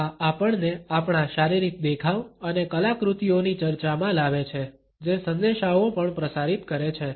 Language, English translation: Gujarati, This brings us to the discussion of our physical appearance and artifacts which also transmits messages